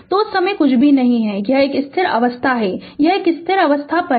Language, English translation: Hindi, So, at that time nothing is there it is a steady state, it is a steady state, it is at infinity